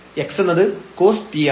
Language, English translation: Malayalam, So, we have cos square t